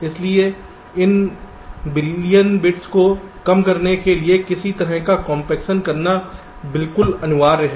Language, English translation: Hindi, so it is absolutely mandatory to do some kind of a compaction to reduce this billion bits